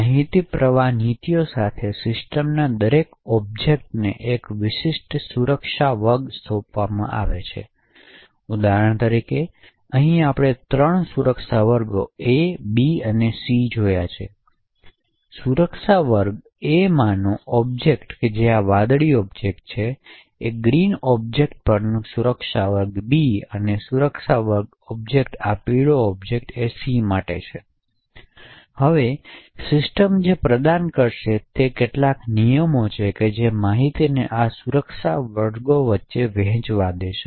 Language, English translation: Gujarati, the system is assigned to a specific security class, for example over here we see three security classes A, B and C, the object in the security class A that is essentially these the blue objects, the objects in the security class B on the green objects and the object in the security class C are these yellow objects, now what the system would provide is some rules which would permit information to flow between these security classes